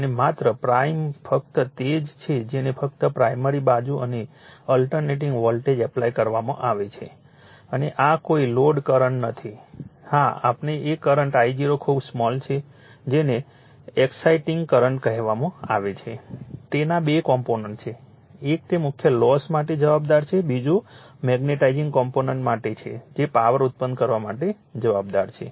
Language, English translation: Gujarati, And only prime only you are what you call that only primary side and alternating voltage are applied and this no load current yeah that is your what you call the current I 0 is very small that is called your exciting current it has two component, one is responsible for that your core losses another is for magnetizing component that is responsible for producing powers